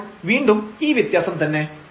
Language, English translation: Malayalam, So, this difference again